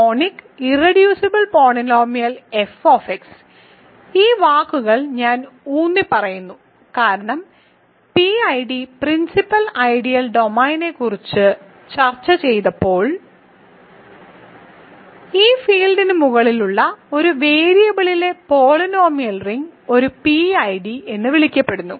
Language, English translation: Malayalam, So, I will emphasize this words monic irreducible polynomial f of x, this is because when we discussed PID principal ideal domain we saw that polynomial ring in one variable over a field is what is called a PID